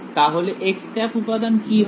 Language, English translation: Bengali, So, what will this be